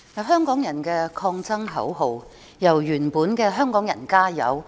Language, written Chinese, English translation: Cantonese, 香港人的抗爭口號由原來的"香港人，加油！, Hong Kong peoples resistance slogan has evolved from the original Hongkongers add oil!